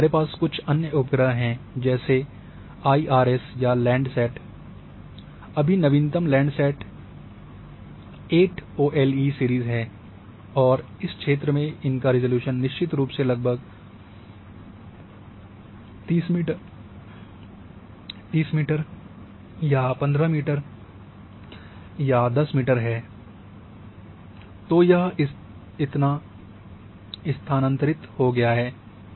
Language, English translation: Hindi, And then you are having some other satellite like IRS now this or landsat, now latest is landsat eight ole series and their resolution definitely coming to about 30 meter or 10 15 meter here this region, so this has shifted this much